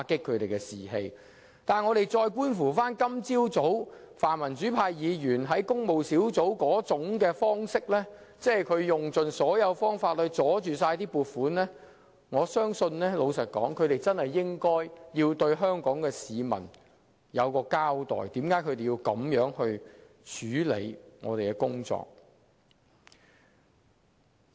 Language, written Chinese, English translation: Cantonese, 不過，觀乎泛民主派議員在今早工務小組委員會會議上的處事方式，即用盡方法阻撓撥款，我認為他們確有需要向香港市民交代，為何要這樣處理議員的工作。, However seeing the practice of the pan - democratic Members at the meeting of the Public Works Subcommittee this morning that is they have employed every means to block the funding I think they have to explain to Hong Kong people why they conduct their work as Members in such a way